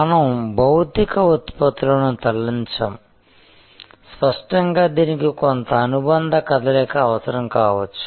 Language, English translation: Telugu, So, in service we do not move physical products; obviously, it may need some accessory movement